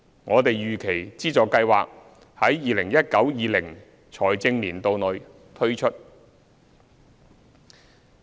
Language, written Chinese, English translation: Cantonese, 我們預期資助計劃於 2019-2020 財政年度內推出。, The subsidy scheme is expected to be rolled out in the 2019 - 2020 financial year